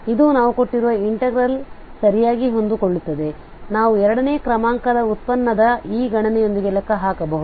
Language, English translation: Kannada, So this is fitting exactly to the given integral we can compute with this computation of the second order derivative